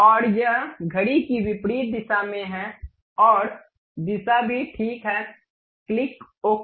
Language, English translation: Hindi, And it is in the counter clockwise direction, and direction also fine, click ok